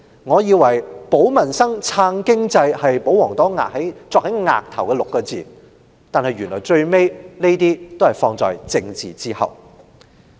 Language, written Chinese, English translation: Cantonese, 我以為"保民生，撐經濟 "6 個字早已鑿刻在保皇黨額上，但最終這些原來也要放在政治之後。, I thought the royalists had been imbued with the phrase safeguarding peoples livelihood and supporting the economy . But eventually all these have to give way to politics